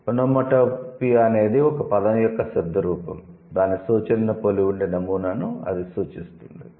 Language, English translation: Telugu, Onomatopoea means refers to a pattern where the phonetic form of a word resembles its referent